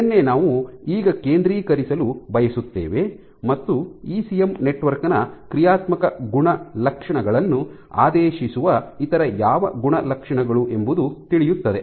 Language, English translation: Kannada, So, this is what we want to focus now as to what are those attributes of an ECM network which dictates is functional properties